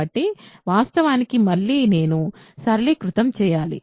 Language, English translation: Telugu, So, of course, again I have to simplify